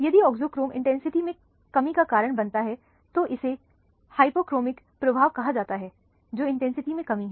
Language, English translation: Hindi, If the auxochrome causes a diminishing of the intensity then it is called the hypochromic effect, which is the decrease in the intensity